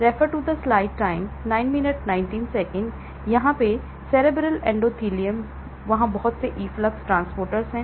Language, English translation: Hindi, Cerebral endothelium; there are a lot of efflux transporters